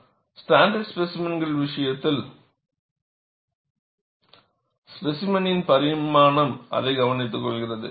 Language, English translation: Tamil, In the case of standard specimens, the specimen dimension takes care of it